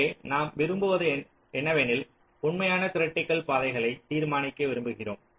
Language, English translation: Tamil, so actually what you want is that we want to determine the true critical paths